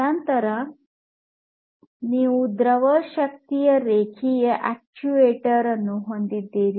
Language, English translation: Kannada, Then you have the fluid power linear actuator